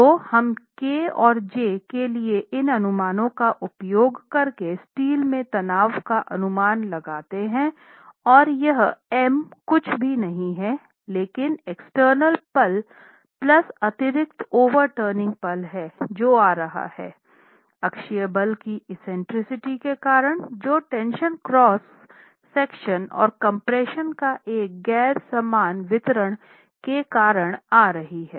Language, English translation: Hindi, So let's estimate the steel stress using these estimates of K and J as m prime by AS effective into J into D and this M prime is nothing but the external moment plus the additional overturning moment that is coming because of the eccentricity of the axial force due to the tension occurring in the cross section and a non uniform distribution of compression